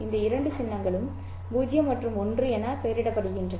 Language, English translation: Tamil, And there are these two symbols which are labeled as 0 and 1